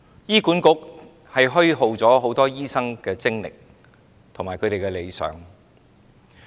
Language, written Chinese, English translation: Cantonese, 醫管局虛耗很多醫生的精力和理想。, HA has wasted a lot of energy and ideals of doctors